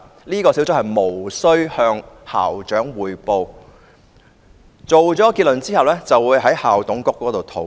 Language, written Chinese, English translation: Cantonese, 這個小組無須向校長匯報，作出結論後便會在校董會內討論。, The complaint - handling panel need not report to the school principal . After a conclusion is reached it will be discussed at an IMC meeting